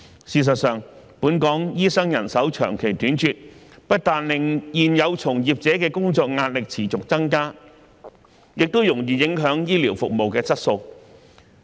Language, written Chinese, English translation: Cantonese, 事實上，本港醫生人手長期緊絀，不但令現有從業者的工作壓力持續增加，也容易影響醫療服務質素。, Because of the chronic shortage of doctors in Hong Kong not only that existing doctors are under increasing work pressure the quality of healthcare services may also easily be compromised